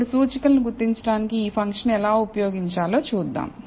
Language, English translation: Telugu, Now, let us see how to use this function to identify the indices